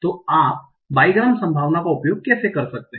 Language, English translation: Hindi, So how how many bigrams are possible